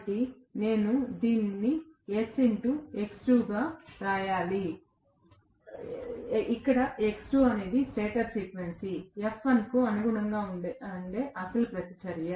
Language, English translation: Telugu, So, I have to write this as S times X2, where X2 was the original reactance corresponding to stator frequency F1